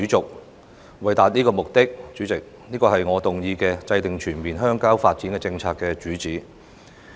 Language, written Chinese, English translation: Cantonese, 主席，為了達到這個目的，這便是我今次動議"制訂全面鄉郊發展政策"議案的主旨。, President this is the main purpose for me to move the motion on Formulating a comprehensive rural development policy